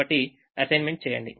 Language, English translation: Telugu, so we make this assignment